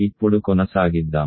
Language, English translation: Telugu, Let us continue now